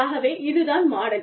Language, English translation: Tamil, So, this is the model